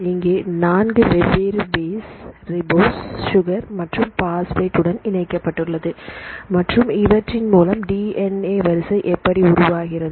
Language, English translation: Tamil, So, there are the 4 different bases attached with a ribose sugar and the phosphate, and how they form a chain of this DNA sequence